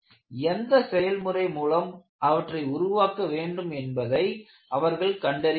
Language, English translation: Tamil, So, they have to find out, what kind of processes that would help them to do it